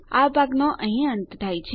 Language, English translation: Gujarati, Thats the end of this part